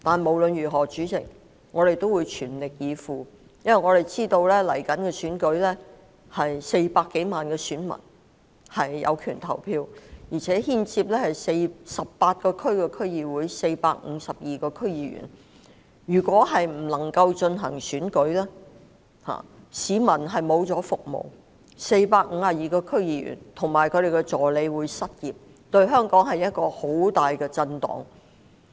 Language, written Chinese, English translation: Cantonese, 儘管如此，主席，我們也會全力以赴，因為我們知道即將到來的選舉涉及400多萬具有權投票的選民、18個選區的區議會及452名區議員，如果未能進行選舉，市民便沒有區議員為其服務，而452名區議員及其助理將會失業，這將會為香港造成十分巨大的震盪。, That said President we will strive to do our best because we understand that in the upcoming election more than 4 million voters who have the right to vote 18 DCs and 452 DC members are involved . If we cannot hold the election there will be no DC member serving the public while 452 DC members and their assistants will be rendered jobless and this will be a very huge shock to Hong Kong